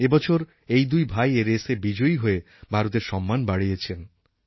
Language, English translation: Bengali, This year both these brothers have won this race